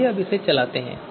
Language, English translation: Hindi, Now so let us execute this